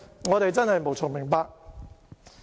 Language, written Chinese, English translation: Cantonese, 我們真的無從明白。, We really do not understand